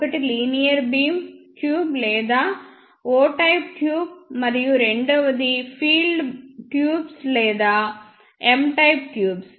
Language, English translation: Telugu, One is linear beam tube or O type tube and the second one is crossed field tubes or M type tubes